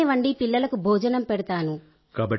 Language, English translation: Telugu, I cook for the children